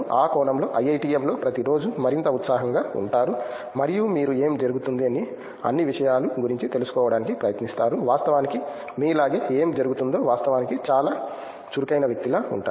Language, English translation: Telugu, In that sense IITM like and also you become more and more enthusiastic everyday and you try to know about everything what is going on, what’s actually happening like you be like a very lively person in fact